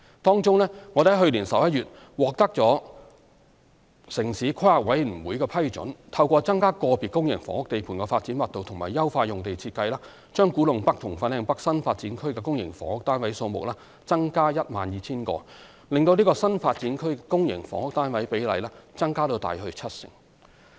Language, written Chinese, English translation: Cantonese, 當中，我們於去年11月獲得城市規劃委員會批准，透過增加個別公營房屋地盤的發展密度及優化用地設計，把古洞北和粉嶺北新發展區的公營房屋單位數目增加 12,000 個，令該新發展區公營房屋單位比例增至約七成。, Among these projects we obtained approval from the Town Planning Board last November to increase the number of public housing units in Kwu Tung North KTN and Fanling North FLN NDAs by 12 000 units through increasing the development density of individual public housing sites and enhancing site design thereby raising the public housing split of the NDAs to approximately 70 %